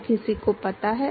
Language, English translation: Hindi, Does anyone know